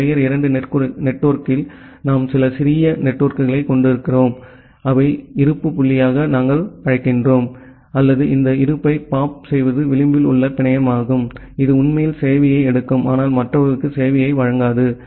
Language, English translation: Tamil, And in a tier 2 network we have certain small networks which we call as the point of presence or pop this point of presence are kind of the edge network, which actually takes the service, but do not provide the service to others